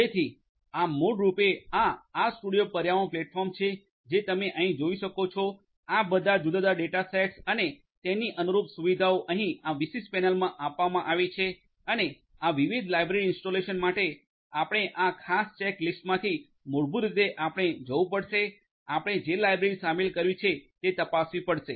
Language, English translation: Gujarati, So, this is basically this RStudio environment platform that you can see over here all these different data sets and their corresponding features are given over here in this particular panel and for installation of these different libraries you have to basically from this particular check list you will have to check the libraries that you want to include